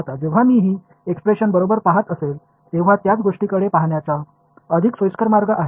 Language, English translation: Marathi, Now, when I look at this expression while this is correct there is a more convenient way of looking at the same thing